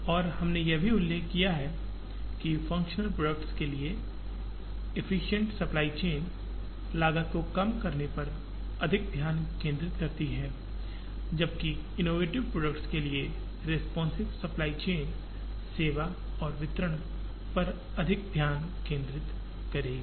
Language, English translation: Hindi, And we also mentioned that the efficient supply chain for functional products concentrates more on cost minimization, while the responsive supply chain for innovative products would concentrate a lot more on service and delivery